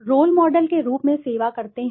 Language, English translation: Hindi, Serve as role models